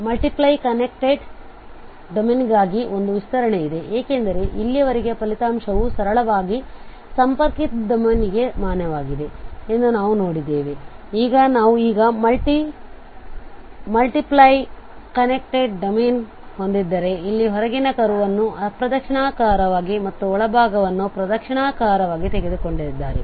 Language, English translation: Kannada, There is an extension for this for multiply connected domain because so far we have seen that the result is valid for simply connected domain, now if we have the multiply connected domain now the outer curve here is traced anticlockwise and the inner one we have taken the clockwise direction